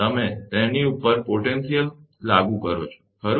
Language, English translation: Gujarati, You apply a potential across them, right